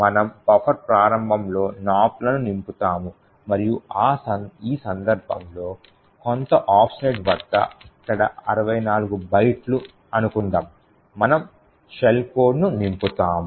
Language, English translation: Telugu, We fill in Nops starting at in the beginning of the buffer and then at some offset in this case 64 bytes we fill in the shell code